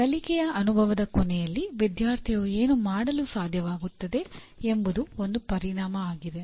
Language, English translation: Kannada, An outcome is what the student is able to do at the end of a learning experience